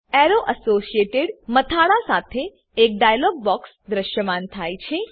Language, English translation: Gujarati, A dialogue box with heading Arrow associated appears